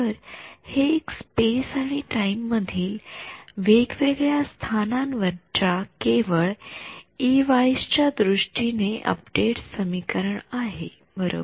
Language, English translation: Marathi, So, this is an update equation purely in terms of E ys at various different locations in space and time right